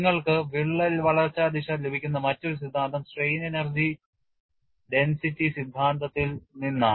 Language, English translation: Malayalam, The other theory which you could get crack growth direction is from strain energy density theory